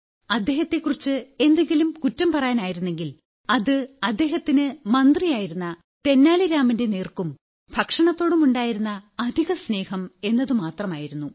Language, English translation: Malayalam, If at all there was any weakness, it was his excessive fondness for his minister Tenali Rama and secondly for food